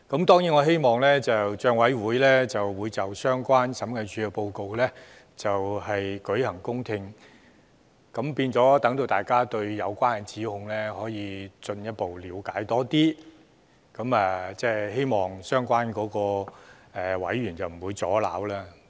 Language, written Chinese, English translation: Cantonese, 當然我希望立法會政府帳目委員會會就審計署署長報告舉行公聽會，讓大家對有關的指控進一步了解，亦希望相關的委員不會阻撓。, Of course I hope that the Legislative Councils Public Accounts Committee PAC will hold a public hearing on the Audit Report for more in - depth understanding of the relevant allegations hopefully without obstruction from the committee members concerned